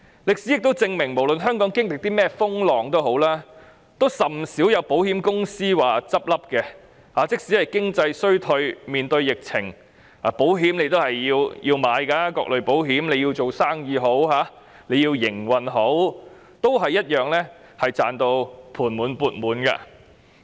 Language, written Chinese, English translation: Cantonese, 歷史亦證明，無論香港經歷甚麼風浪，也甚少有保險公司結業，即使是經濟衰退及面對疫情，大家也要購買各類保險，無論是做生意或營運，均同樣賺到盤滿缽滿。, History has also proved that no matter what storms Hong Kong goes through insurance companies rarely close down . Even in times of economic downturn and epidemic people have to take out various types of insurance . Huge profits are made whether in areas of business transactions or operation